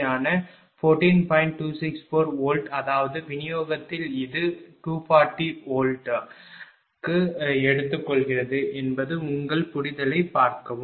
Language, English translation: Tamil, 264 volt means that at distribution this is taking for 240 volt just refer your understanding